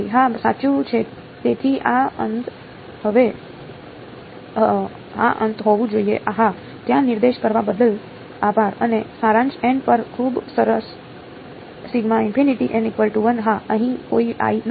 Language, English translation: Gujarati, Yes, correct so this should be infinity yeah thanks for pointing out there and summation over n very good n is equal to one to infinity yeah there is no i over here